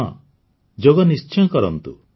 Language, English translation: Odia, Certainly do yoga